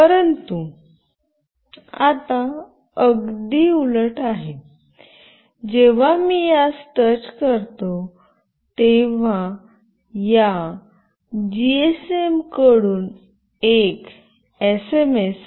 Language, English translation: Marathi, But now it is just the opposite, when I touch this an SMS alert from this GSM will be sent to my mobile number